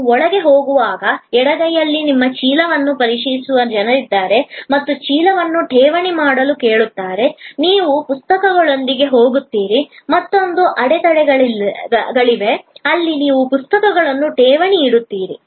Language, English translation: Kannada, As you go in, on the left hand side there are people who will check your bag and will ask you to deposit the bag, you go in with the books, there is another set of barriers, where you deposit the books